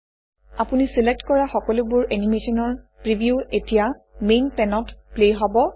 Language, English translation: Assamese, The preview of all the animation you selected will now play on the Main pane